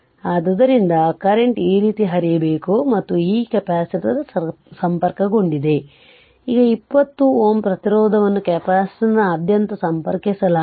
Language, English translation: Kannada, And this capacitor is connected this 20 ohm resistance is connected ah across the capacitor right